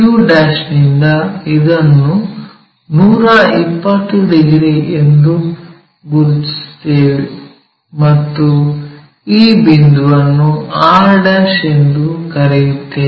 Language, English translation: Kannada, From q', let us locate this 120 degrees and let us call this point as r'